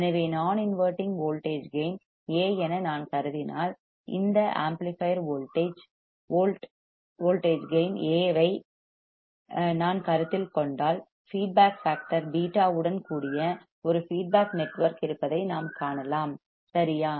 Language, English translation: Tamil, So, if I consider a non inverting implemented voltage gain A, if I consider this amplifier volt voltage gain A, what we can see there is a feedback network with feedback factor beta right